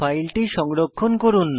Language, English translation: Bengali, Lets save the file now